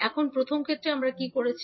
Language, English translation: Bengali, Now in first case, what we are doing